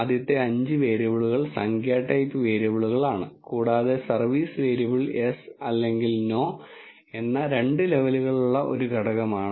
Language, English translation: Malayalam, The first 5 variables are numeric type variables, and the service variable is a factor with two levels which contains yes or no